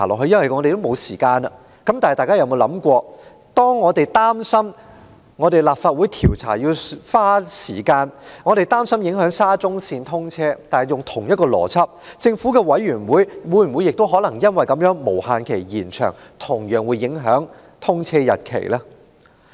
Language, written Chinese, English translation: Cantonese, 然而，大家可有想過，我們擔心立法會調查需時，或會影響沙中線通車；根據同一邏輯，政府調查委員會的調查無限期延長，難道不會影響通車日期嗎？, However has it ever occurred to Members that as we worry about the possibility of the commissioning of SCL being affected by a prolonged inquiry by the Legislative Council will the indefinite extension of the inquiry by the Governments Commission of Inquiry not similarly affect the commissioning date of SCL?